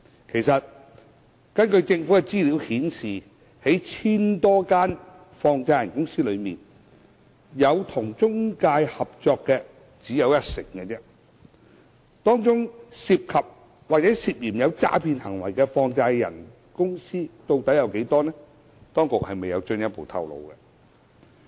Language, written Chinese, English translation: Cantonese, 其實，根據政府資料顯示，在 1,000 多間放債人公司中，有與中介合作的只有一成，當中涉及或涉嫌有詐騙行為的放債人公司究竟有多少，當局未有進一步透露。, In fact according to the information of the Government only 10 % of the 1 000 - odd money lenders have cooperated with intermediaries . The Government has not further disclosed information on the number of money lenders involved in or alleged to have adopted fraud practices